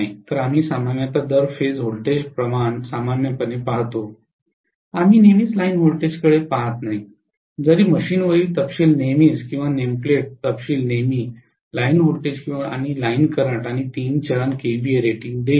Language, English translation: Marathi, so we generally look at the per phase voltage ratios normally, we never look at the line voltages all though specifications will always or nameplate details on the machine will always give the line voltages and line currents and three phase Kva rating